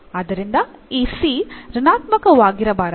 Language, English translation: Kannada, So, this c has to be non negative